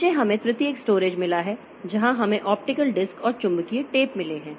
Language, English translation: Hindi, Below that we have got tertiary storage where we have got optical disk and magnetic tapes